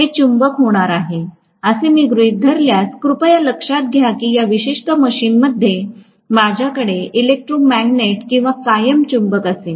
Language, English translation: Marathi, If I assume that this is going to be the magnet, please note I am going to have an electromagnet or permanent magnet in this particular machine